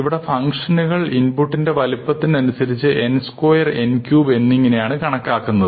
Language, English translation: Malayalam, We are going to look at these functions in terms of orders of magnitude, does the function grow as n, n square, n cube, and so on